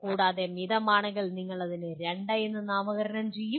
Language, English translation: Malayalam, And if it is moderate, you will name it as 2